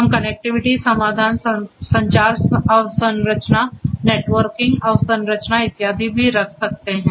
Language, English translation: Hindi, We can also place the connectivity solutions, the communication infrastructure, networking infrastructure and so on